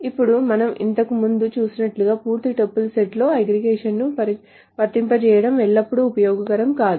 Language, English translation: Telugu, Now as we saw earlier, it is not always useful to apply the aggregation on the complete set of tuples but on certain groups of tuples